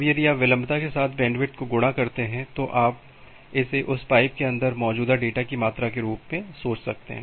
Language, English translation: Hindi, Now if you multiply bandwidth with latency, you can think of it as the amount of data that can be there inside this pipe